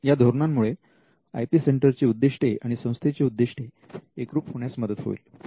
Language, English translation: Marathi, Now, this would also help to align the mission of the IP centre to the mission of the institution itself